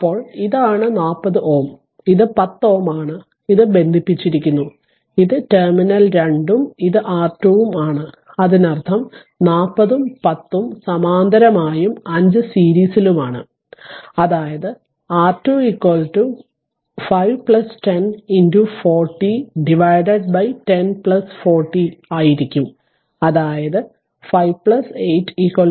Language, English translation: Malayalam, Then this is your your what you call 40 ohm, and this is your 10 ohm right and this is connected and this is your terminal 2 and this is your R thevenin; that means, 40 and 10 are in parallel with that 5 is in series; that means, your R Thevenin will be is equal to 5 plus 10 into 40 divided by your 10 plus 40 right; that means, 5 plus 8 is equal to 13 ohm right